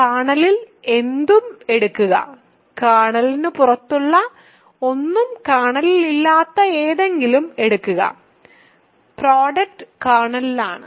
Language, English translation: Malayalam, Take anything in the kernel; take anything in the ring not in the kernel anything even outside the kernel, the product is in the kernel